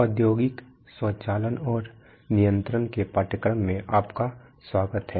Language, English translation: Hindi, Welcome to the course on industrial automation and control